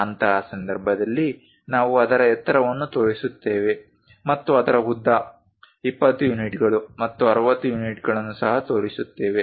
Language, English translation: Kannada, In that case we show its height and also we show its length, 20 units and 60 units